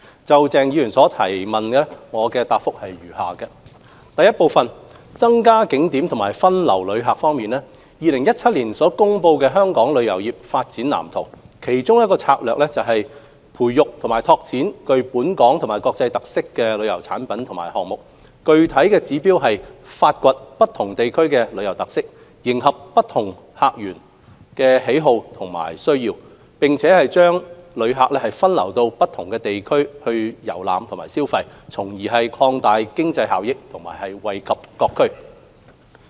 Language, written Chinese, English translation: Cantonese, 就鄭松泰議員的質詢，我答覆如下：一增加景點和分流旅客方面 ，2017 年公布的《香港旅遊業發展藍圖》，其中一個策略是培育及拓展具本港及國際特色的旅遊產品及項目，具體指標是發掘不同地區的旅遊特色，迎合不同客群的需要和喜好，並將旅客分流到不同地區遊覽和消費，從而擴大經濟收益和惠及各區。, In response to the question raised by Dr CHENG Chung - tai my reply is as follows . 1 On increasing tourist attractions and diverting tourists one of the strategies in the Development Blueprint for Hong Kongs Tourism Industry published in 2017 is to nurture and develop tourism products and initiatives with local and international characteristics . Our concrete objectives are to unearth the tourism characteristics of different districts to cater for the needs and preferences of different visitor segments and to divert tourists to different districts for sightseeing and shopping thereby enhancing economic gains and benefiting various districts